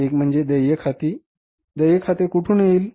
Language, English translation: Marathi, One is the accounts payable accounts payable